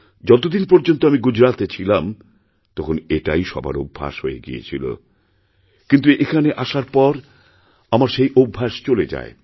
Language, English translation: Bengali, Till the time I was in Gujarat, this habit had been ingrained in us, but after coming here, I had lost that habit